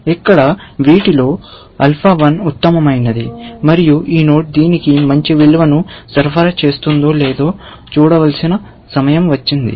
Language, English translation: Telugu, Alpha 1 is the best amongst these here, and it is time to see, if this node will supply it a better value, essentially